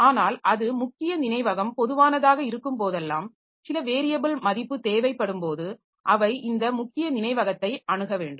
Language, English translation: Tamil, So, that way they are whenever some variable value is required so they have to access this main memory